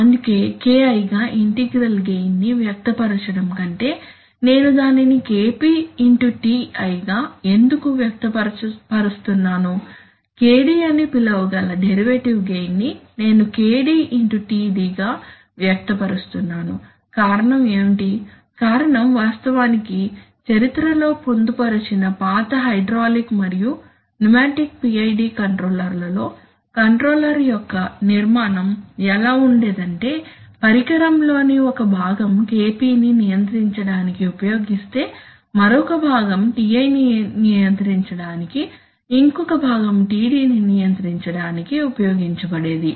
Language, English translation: Telugu, That why is it that, rather than expressing the integral gain, rather than expressing the integral gain as KI why I am expressing it as KP into TI why the derivative gain which I could call KD I am, I am expressing as KP into TD what is the reason the reason is actually embedded in history it turns out that in the older you know hydraulic and pneumatic PID controllers the construction of the controller was such, that one part of the device used to control KP another part of the device used to control Ti another part of the device used to control TD